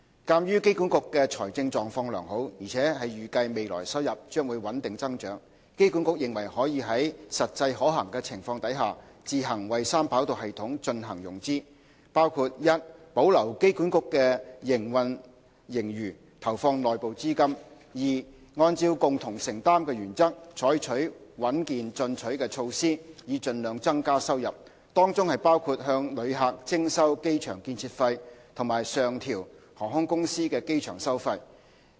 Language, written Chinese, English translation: Cantonese, 鑒於機管局的財政狀況良好，而且預計未來收入將會穩定增長，機管局認為可在實際可行的情況下，自行為三跑道系統進行融資，包括： 1保留機管局的營運盈餘，投放內部資金； 2按照"共同承擔"的原則，採取穩健進取的措施以盡量增加收入，當中包括向旅客徵收機場建設費及上調航空公司的機場收費。, Having regard to its strong financial position and projected steady growth in revenue AA considered that it should finance 3RS by itself as far as practicable including 1 retaining AAs operating surplus making use of the internal sources of funds; 2 implementing a robust approach in maximizing revenue under the joint contribution principle including introduction of the Airport Construction Fee ACF on passengers and upward adjustment of airport charges to be payable by airlines